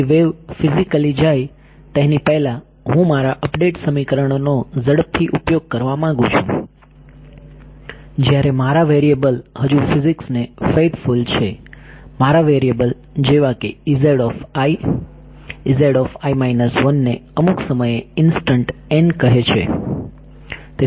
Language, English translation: Gujarati, So, before the wave has physically gone I want to quickly use my update equations while my variables are still faithful to the physics my variable says E z i E z i minus 1 all at some time instant n and n